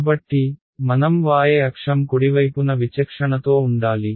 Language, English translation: Telugu, So, I should discretize along the y axis right